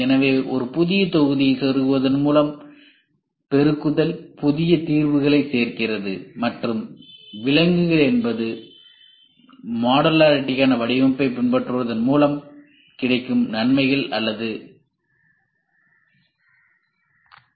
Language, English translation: Tamil, So, augmentation add new solutions by merely plugging in a new module and exclusions are the benefits at or the advantages by following the design for modularity